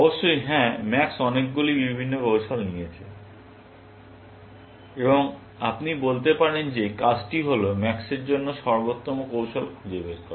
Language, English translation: Bengali, Of course, yes, max has occurs to many different strategies, and you can say that the task is to find the best strategy for max, essentially